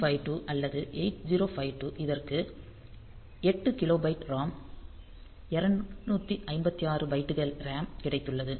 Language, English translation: Tamil, 8952 or 8052 it has got 8 kilobytes of ROM 256 bytes of RAM